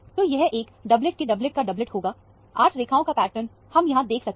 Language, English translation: Hindi, So, it will be a doublet of a doublet of a doublet; 8 line pattern is what is seen